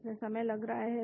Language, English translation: Hindi, It is taking time